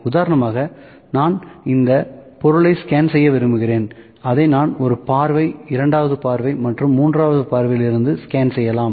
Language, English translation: Tamil, And for instance I like to just scan this object I can scan it from one view, side view, second view and third view, ok